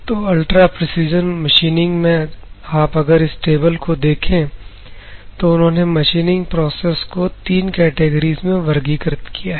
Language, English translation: Hindi, So, ultra precision machining, if you see the Taniguchi et al, they has given a table where the machining processes are classified into 3 categories